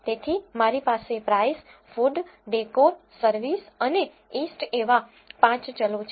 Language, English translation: Gujarati, So, I have price, food, decor, service and east as the 5 variables